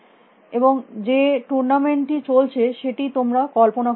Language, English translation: Bengali, you can visualize tournament which is going on